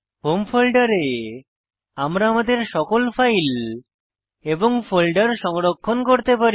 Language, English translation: Bengali, We can say that the Home folder is our house where we can store our files and folders